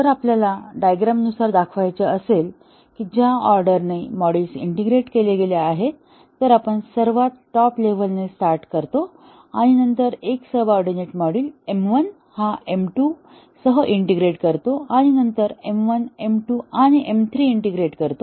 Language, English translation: Marathi, If we want to show a diagrammatically that the order in which the modules are integrated, we start with the top most and then integrate a subordinate module M 1 with M 2, and then integrate M 1, M 2 and M 3 together